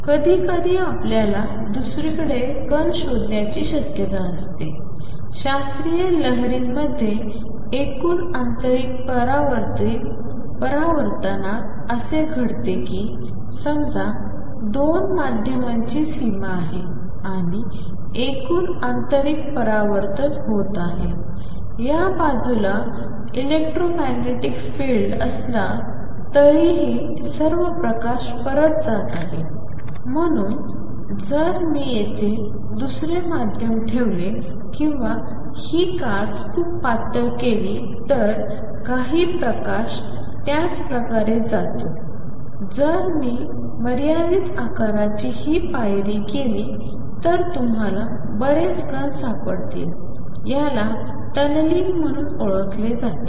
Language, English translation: Marathi, Sometimes you would have a probability of finding the particle on the other side, this is what happens in classical waves in total internal reflection in total internal reflection suppose there is a boundary of 2 media and total internal reflection is taking place even then there is some electromagnetic field on this side although all the light is going back and therefore, if I put another medium here or make this glass very thin some light goes through similarly here we will find if I make this step of finite size you will find the sum particles go through what is known as tunneling